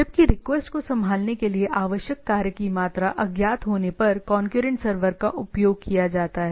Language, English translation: Hindi, Whereas, concurrent server were used when the amount of work required to handle a request is unknown right